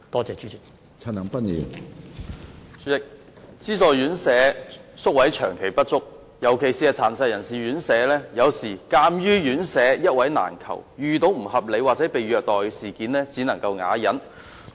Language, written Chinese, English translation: Cantonese, 主席，資助院舍宿位長期不足，尤其是殘疾人士院舍，有時鑒於院舍一位難求，院友遇到不合理或被虐待事件時，只能啞忍。, President there has been a long - term shortage of subvented residential places especially those of RCHDs . Given the difficulty in securing a residential place sometimes residents of care homes can only silently swallow their bitterness in times of mistreatments and abuses